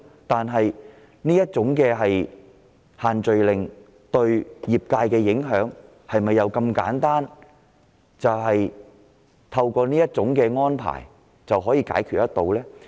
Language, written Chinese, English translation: Cantonese, 但是，限聚令對業界造成的影響是否如此簡單，透過某些安排便可解決得到？, However is the impact of the social gathering restrictions on different trades and industries so simple that it can be addressed by adopting certain arrangements?